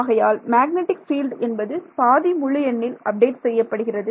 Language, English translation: Tamil, So, then the magnetic field is updated at half integer right